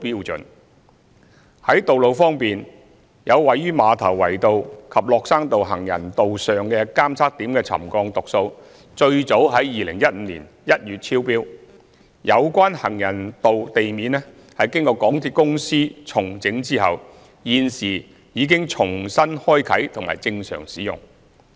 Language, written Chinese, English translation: Cantonese, 在道路方面，有位於馬頭圍道及落山道行人道上的監測點的沉降讀數最早於2015年1月超標，有關行人道地面經港鐵公司重整後，現時已重新開放及正常使用。, Regarding roads readings of certain ground settlement monitoring points located at the footpath of Ma Tau Wai Road and Lok Shan Road reached the highest trigger level as early as January 2015 . Following the reinstatement work by MTRCL the relevant pavement had subsequently been opened for public use